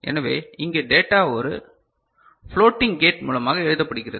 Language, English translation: Tamil, And so, here the data writing is done through something called a floating gate ok